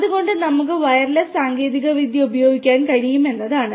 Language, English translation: Malayalam, So, what we can use is we can use wireless technology